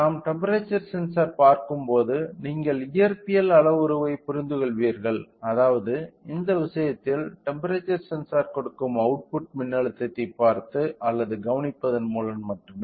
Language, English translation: Tamil, When we look into the temperature sensor you will understand the physical parameter which means in this case is of temperature only by looking or by observing the output voltage that temperature sensor is giving in this case